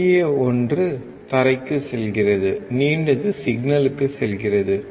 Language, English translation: Tamil, Shorter one goes to ground; Longer one goes to the signal